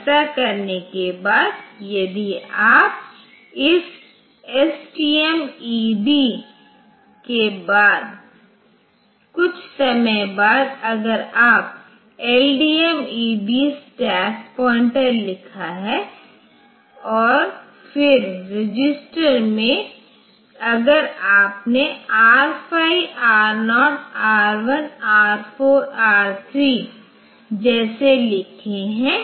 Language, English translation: Hindi, some after this is STMFD, ED sometime later if you have written like LDMED stack pointer and then in the register if you have written like R5, R0, R1, R 4, R3